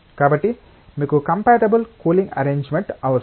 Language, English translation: Telugu, So, you require a compatible cooling arrangement